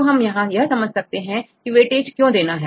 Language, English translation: Hindi, So, here why we need to do this weightage